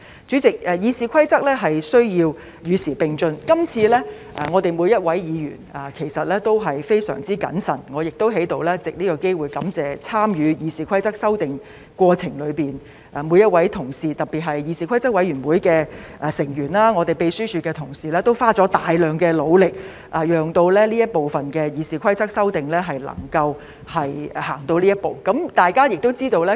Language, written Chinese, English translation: Cantonese, 主席，《議事規則》需要與時並進，今次我們每位議員其實也相當謹慎，我亦想在此藉這個機會感謝參與《議事規則》修訂過程中的每位同事，特別是議事規則委員會的成員及秘書處的同事，他們都花了大量時間和非常努力，讓這部分的《議事規則》修訂能夠走到今天這一步。, President RoP needs to keep abreast of the times and in this exercise every one of us has been rather cautious indeed . I would also like to take this opportunity to thank every colleague who has participated in the process of amending RoP especially Members of the Committee on Rules of Procedure and colleagues from the Secretariat . All of them have spent a lot of time and efforts so that this amendment exercise of RoP can reach this stage